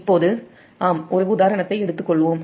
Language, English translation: Tamil, now let us take, yes, an example